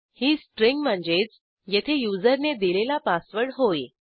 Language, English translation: Marathi, It stores the string, in this case the password entered by the user